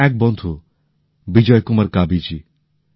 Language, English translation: Bengali, Just as… a friend Bijay Kumar Kabiji